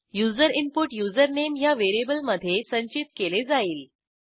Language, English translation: Marathi, The user input will be stored in the variable username